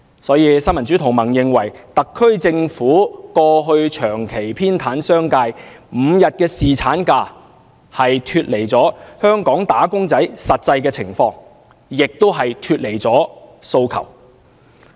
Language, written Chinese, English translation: Cantonese, 所以，新民主同盟認為，特區政府過去長期偏袒商界 ，5 天侍產假根本脫離了香港"打工仔"的實際需要和訴求。, For these reasons the Neo Democrats thinks that the SAR Government has tilted in favour of the business sector for prolonged periods in the past and five days paternity leave is simply out of tune with the actual needs and demands of Hong Kong employees